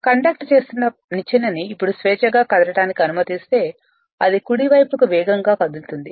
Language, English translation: Telugu, Now, if the conducting ladder is free to move now you are allowing to move they need to accelerate towards the right